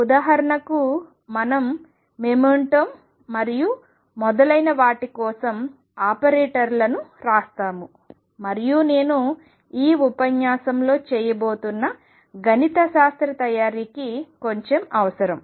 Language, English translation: Telugu, For example, we will write the operators for the momentum and so on, and all that requires a little bit of mathematical preparation which I am going to do in this lecture